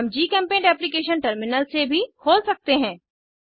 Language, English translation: Hindi, We can also open GChemPaint application from Terminal